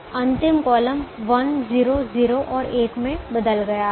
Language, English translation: Hindi, the last column has changed to one: zero, zero and one